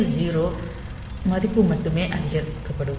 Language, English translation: Tamil, So, then only this TL 0 value will be incremented